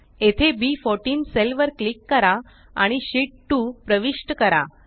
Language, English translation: Marathi, Here lets click on the cell referenced as B14 and enter Sheet 2